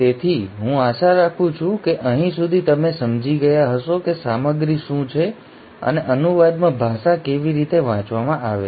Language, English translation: Gujarati, So I hope till here you have understood what are the ingredients and how the language is read in translation